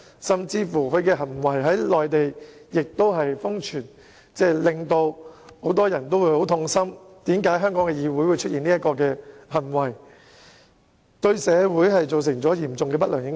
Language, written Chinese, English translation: Cantonese, 他的行徑更在內地瘋傳，很多人都對香港議會出現這種行為感到痛心，而且對社會造成嚴重的不良影響。, His conduct has even been widely circulated on the Internet in the Mainland . Many people are distressed that such an act had taken place in the Legislative Council of Hong Kong causing significant adverse impacts on society